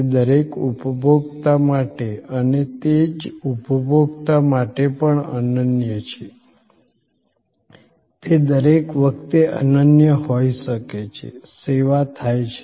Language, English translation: Gujarati, It is unique for each consumer and even for the same consumer; it may be unique every time, the service occurs